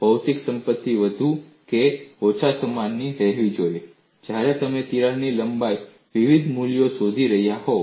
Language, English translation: Gujarati, The material property should remain more or less same, when you are looking at for different values of crack lengths